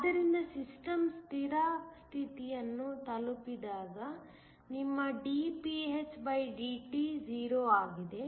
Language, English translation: Kannada, So, when the system is reached steady state your dpndt is 0